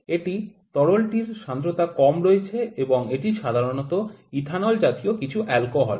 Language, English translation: Bengali, It is a fluid that is low viscosity fluid, and it generally some alcohol like ethanol